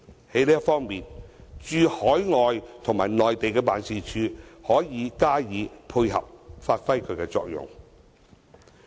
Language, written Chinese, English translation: Cantonese, 在這方面，駐海外及內地辦事處可以加以配合，發揮其作用。, Overseas and Mainland offices may offer support and perform their functions in this regard